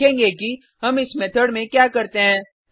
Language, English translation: Hindi, We will see what we do in this method